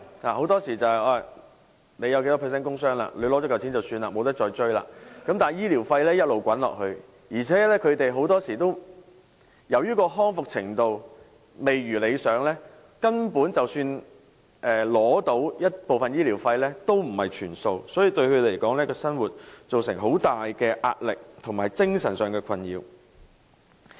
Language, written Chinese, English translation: Cantonese, 很多時候你有多少百分率的工傷，取得補償後便了事，無法再追，但醫療費用一直滾下去，而且他們很多時候由於康復程度未如理想，根本即使取得部分醫療費，亦不是全數，所以對他們來說，對生活造成巨大壓力，以及精神上的困擾。, Very often after an employee receives his compensation which is computed on the basis of a percentage relating to his work injuries his case will be concluded and he is unable to pursue any further compensation . His medical expenses nonetheless continue to accumulate . In most cases due to unsatisfactory recovery progress and partial instead of full subsidies for their medical expenses they face immense livelihood pressure and mental anxiety